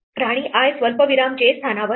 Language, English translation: Marathi, The queen is at position i comma j